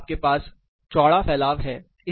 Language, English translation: Hindi, So, you have a wider dispersion